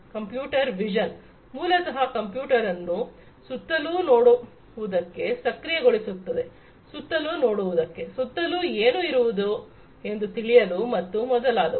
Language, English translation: Kannada, Computer vision is basically trying to enable a computer to see around, to see around, to feel what is around it and so on